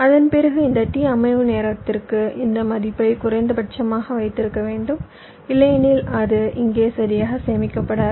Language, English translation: Tamil, after that i must keep this value stable, minimum for this t setup amount of time, otherwise it not getting stored properly here